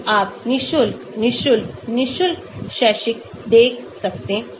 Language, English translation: Hindi, so you can see free, free, free, free academic